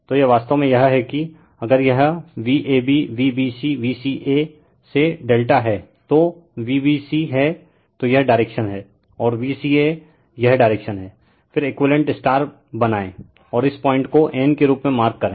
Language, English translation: Hindi, So, this is actually this is your what you call if for if it is your V ab, V bc, V ca, you form the delta I told you right that V bc so this direction and V ca this direction, then you make equivalent star, and this point you mark as n right